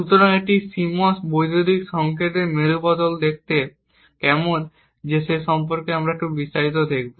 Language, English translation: Bengali, So, we will see little more detail about what a CMOS inverter looks like